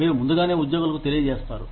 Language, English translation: Telugu, You notify employees, ahead of time